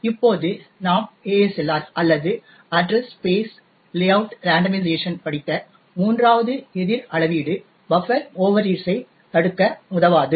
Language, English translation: Tamil, Now, the third countermeasure that we have studied the ASLR or the address space layout randomization will also not help to prevent the buffer overreads